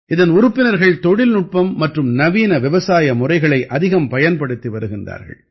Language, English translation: Tamil, Its members are making maximum use of technology and Modern Agro Practices